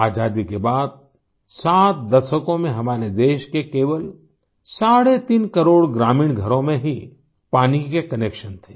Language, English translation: Hindi, In the 7 decades after independence, only three and a half crore rural homes of our country had water connections